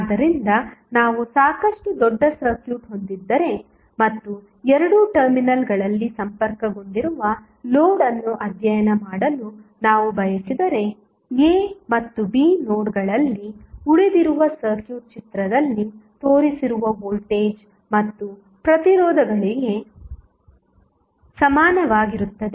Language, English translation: Kannada, So, what we discussed that if we have a fairly large circuit and we want to study the load at connected across two terminals then the circuit which is left of the nodes a and b can be approximated rather can be equal with the voltage and resistances shown in the figure